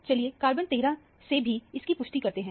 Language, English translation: Hindi, Let us confirm it by carbon 13 also